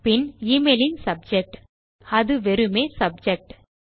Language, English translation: Tamil, Then the subject of the email which is just subject